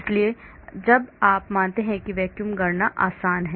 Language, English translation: Hindi, So when you consider vacuum calculations are easy